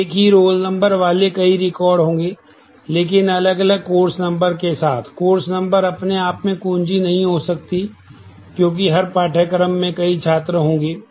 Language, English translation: Hindi, So, there will be multiple records having the same roll number, but different course number, the course number by itself cannot be the key, because every course will have multiple students